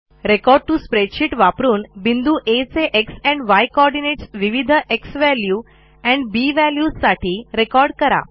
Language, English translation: Marathi, Use the Record to Spreadsheet option to record the x and y coordinates of point A, for different xValue and a values